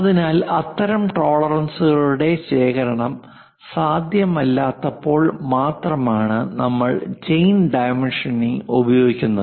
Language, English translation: Malayalam, So, we use chain dimensioning only when such tolerances accumulation is not possible